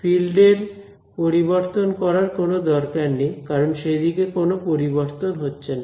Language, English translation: Bengali, That means, there is no need for the field to change, because there is no change along that direction